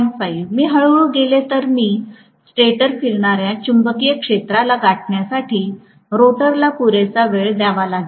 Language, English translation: Marathi, 5, if I go slow, then I gave rotor enough time to catch up with the stator revolving magnetic field